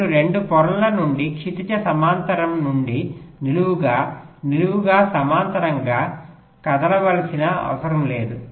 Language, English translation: Telugu, you do not need to move from horizontal to vertical, vertical to horizontal from two layers